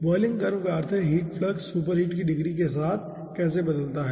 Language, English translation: Hindi, boiling curve means how heat flux varies with degree of superheat